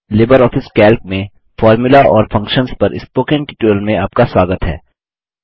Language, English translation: Hindi, Welcome to the Spoken Tutorial on Formulas and Functions in LibreOffice Calc